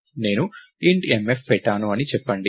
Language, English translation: Telugu, Lets say I put int mf